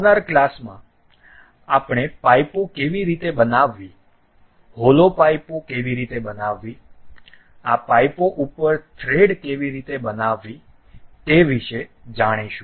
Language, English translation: Gujarati, In the next class, we will know about how to make pipes, hollow pipes, how to make threads over these pipes